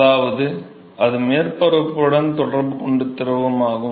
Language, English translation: Tamil, I mean the liquid which is in contact to the surface